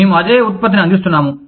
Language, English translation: Telugu, We have we are offering, the same product